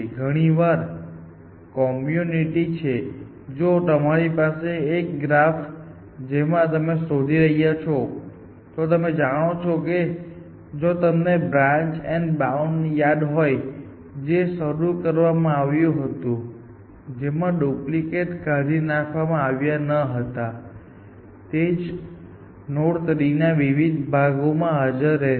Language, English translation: Gujarati, So, very often the community tends to even if you have a graphs from which you are searching, then you know, if you remember the branch and bound, we started off with, in which the duplicates were not remove and the same node would appear and different parts of the tree